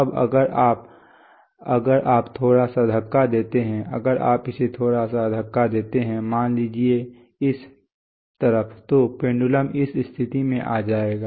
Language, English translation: Hindi, Now if you, if there is if you given a little push, if you give it a little push, let us say this side then the pendulum will come to this position